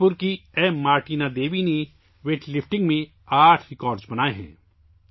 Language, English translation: Urdu, Martina Devi of Manipur has made eight records in weightlifting